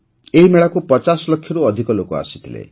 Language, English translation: Odia, More than 50 lakh people came to this fair